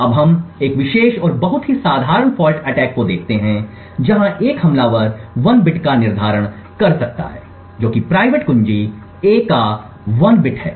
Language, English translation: Hindi, Now let us look at a particular and very simple fault attack where an attacker could determine 1 bit of a that is 1 bit of the private key a